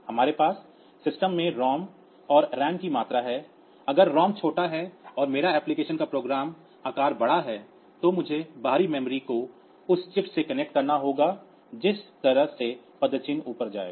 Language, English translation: Hindi, So, the speed of the processor is 1 parameter then the amount of ROM and RAM that we have in the system if the ROM is small and my application have program size is large then I need to connect external memory to the chip that way the footprint will go up ok